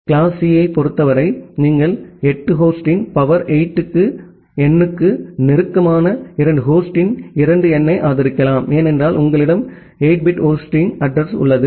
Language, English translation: Tamil, In case of class C, you can support around 2 to the power 8 number of host close to the power 8 number of host, because you have a 8 bit of host address, well